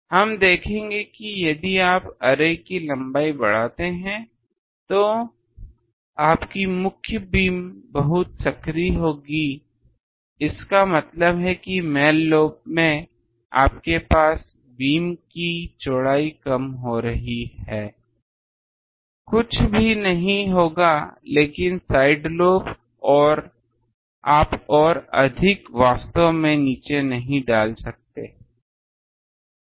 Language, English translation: Hindi, That will we will see that if you go on increasing the length of the array, your main beam will be much narrower; that means, you have beam width will be decreasing in main lobe will be nothing but the side lobe you cannot put it down more actually